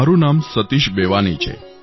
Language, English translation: Gujarati, My name is Satish Bewani